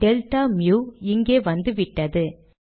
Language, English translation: Tamil, Now delta mu has come there